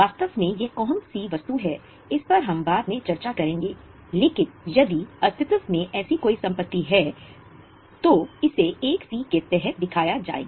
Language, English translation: Hindi, Exactly what we will discuss later on but if there is any such asset in existence it will be shown under 1C